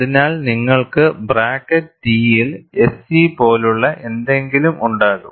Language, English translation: Malayalam, So, you will have something like SE within bracket T